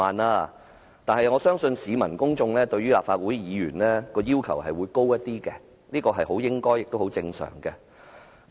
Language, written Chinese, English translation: Cantonese, 可是，我相信市民和公眾對於立法會議員的要求會較高，這是很應該也很正常的事情。, However I believe the citizens and the public have higher expectations on legislators which is quite obligatory and very normal